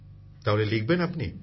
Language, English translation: Bengali, so will you write